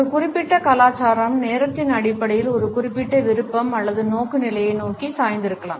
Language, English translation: Tamil, A particular culture may be inclined towards a particular preference or orientation in terms of time